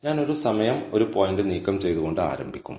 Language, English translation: Malayalam, Now, I will start by removing one point at a time